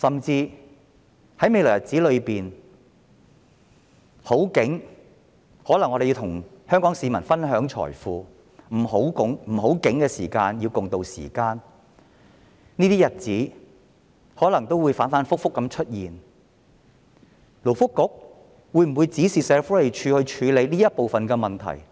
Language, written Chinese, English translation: Cantonese, 在未來的日子，當香港經濟蓬勃時，政府可以與香港市民分享財富；當香港經濟蕭條時，大家要共渡時艱；這些日子可能會不斷反覆出現，勞工及福利局會否指示社署處理這部分的問題？, In future when Hong Kong economy becomes robust the Government may share wealth with Hong Kong citizens; during economic downturn we have to tide over the hard times together . As these situations may keep repeating will the Labour and Welfare Bureau direct SWD to tackle this problem?